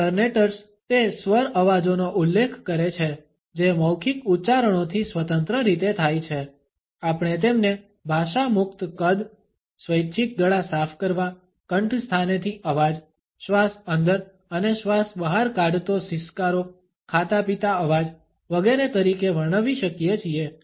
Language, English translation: Gujarati, Alternates refer to those vocal sounds which occur independently of verbal utterances, we can describe them as language free size, voluntary throat clearings, clicks, inhalations and exhalations hisses, blows slurps etcetera